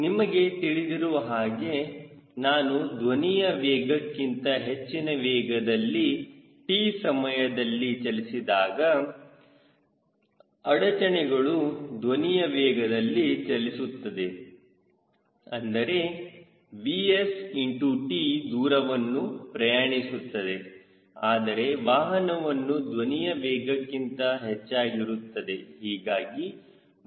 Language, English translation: Kannada, you know that if i moving with speed more than velocity of sound, in time t, the disturbance which moves with the velocity of sounds this is v s into t will be covered, but vehicle be more than the speed, vehicle speed being more than the speed of sound